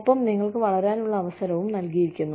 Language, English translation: Malayalam, And, you are given an opportunity, to grow